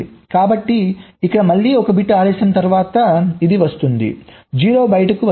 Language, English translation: Telugu, so here again, after one bit delay, this will come, this zero will come out